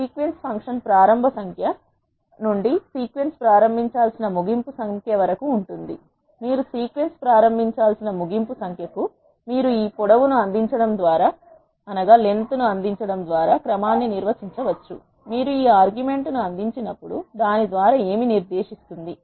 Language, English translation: Telugu, Sequence function contains from the starting number from which the sequence has to begin to the ending number with which the sequence has to begin, you can define the sequence by either providing the by or length, when you provide this argument by it will specifiy by what increment or decrement the sequence has to be generated, when you provide this argument length